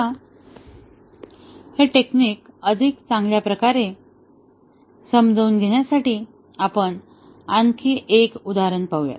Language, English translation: Marathi, Now, let us look at another example just to understand this technique better